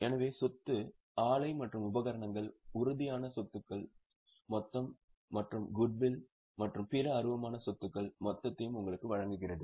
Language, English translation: Tamil, So, property plant and equipment that is the tangible assets total and goodwill and other intangible assets total which gives you the total of total